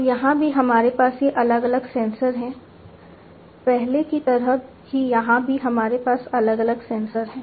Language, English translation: Hindi, So, here also we have these different sensors here also like before we have different sensors